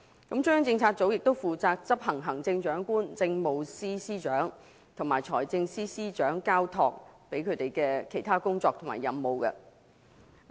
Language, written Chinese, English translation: Cantonese, 中央政策組亦負責執行行政長官、政務司司長和財政司司長交託的其他工作及任務。, It also carries out any other tasks assigned by the Chief Executive the Chief Secretary for Administration or the Financial Secretary